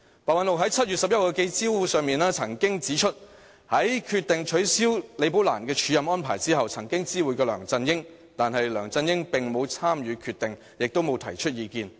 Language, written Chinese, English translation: Cantonese, 白韞六在7月11日的記者招待會上指出，在決定取消李寶蘭的署任安排後，曾知會梁振英，但梁振英並無參與決定，也沒有提出意見。, But Simon PEH remains equally ambiguous about it . In the press conference held on 11 July PEH said that he had notified LEUNG Chun - ying after cancelling Rebecca LIs acting appointment but LEUNG did not take part in making the decision and did not give any advice